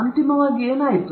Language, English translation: Kannada, What had happened finally